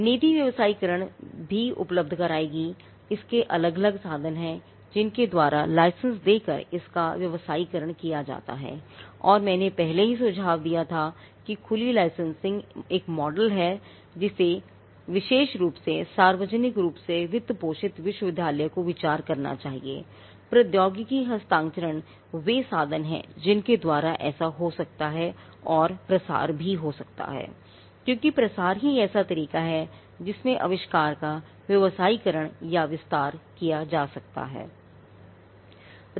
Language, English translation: Hindi, The policy will also provide for commercialization by what are the different means by which it can be commercialized by licensing and I already suggested that open licensing is a model that especially publicly funded university should consider; technology transfer what are the means by which that can happen and also dissemination, because dissemination itself is a way in which invention can be commercialized or diffusion